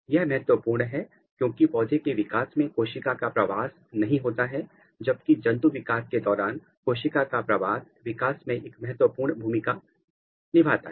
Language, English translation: Hindi, This is important because in case of plants the cell migration is not occurring; during animal development cell migration plays a very very important role in the development